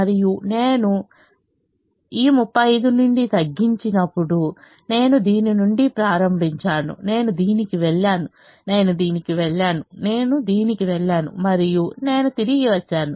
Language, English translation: Telugu, and i choose to reduce from this thirty five and if i, and when i reduce from this thirty five, i started from this, i went to this, i went to this, i went to this, i went to this and i came back